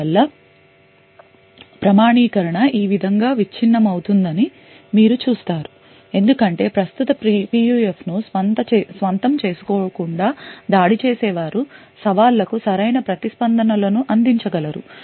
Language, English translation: Telugu, Thus you see that authentication will break in this way because the attacker without actually owning the current PUF would be able to provide the right responses for challenges